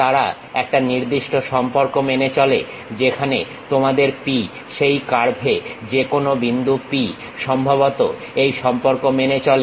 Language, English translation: Bengali, They satisfy one particular relation, where your P any point p on that curve, supposed to satisfy this relation